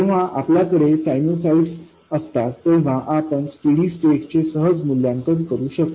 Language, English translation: Marathi, When you have sinusoid, you can evaluate the steady state quite easily